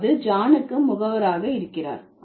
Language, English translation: Tamil, So, that means John has the agentive status